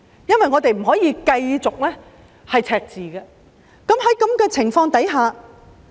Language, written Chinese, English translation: Cantonese, 我們不可以繼續出現赤字，那該怎麼辦？, We cannot keep on having deficits what should we do then?